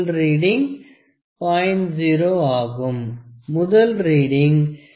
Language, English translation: Tamil, That is the first reading is 0